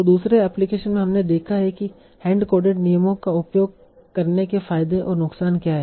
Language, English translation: Hindi, So what is the what is the pros and what are the pros and cons for using a hand coded hand coded rules